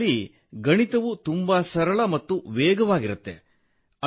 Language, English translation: Kannada, In which mathematics used to be very simple and very fast